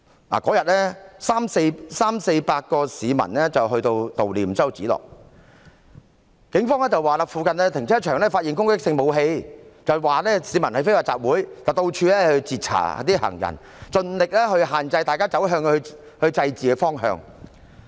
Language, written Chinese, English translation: Cantonese, 當天有348名市民悼念周梓樂，警方說在附近停車場發現攻擊性武器，指市民非法集會，到處截查行人，設法制止市民走向祭祀的方向。, That day 348 people mourned the death of Alex CHOW . The Police said that offensive weapons were found in a car park nearby accused the people of having an unlawful assembly and intercepted pedestrians here and there trying every way to stop people from going in the direction of the memorial event